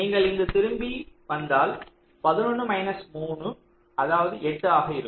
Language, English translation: Tamil, so if you go back here it will be seventeen minus six, it will be eleven